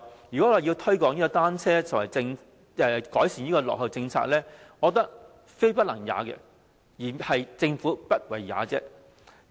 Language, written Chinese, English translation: Cantonese, 要推廣單車及改善落後的政策，我覺得非不能也，而是政府不為也。, The promotion of the use of bicycles and improvement of outdated policies in my opinion is not something the Government cannot do . Only that it does not do so